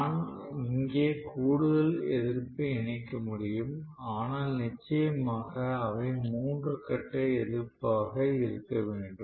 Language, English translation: Tamil, I can have additional resistances connected here but off course they maybe three phase resistance